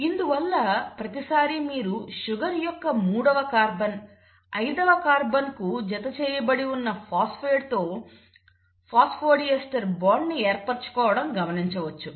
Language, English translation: Telugu, So you always find at, this is the third carbon of the sugar which is forming the phosphodiester bond with the phosphate which is attached to the fifth carbon